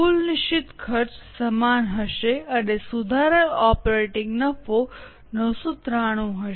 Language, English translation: Gujarati, Total fixed cost will be same and revised operating profit will be 9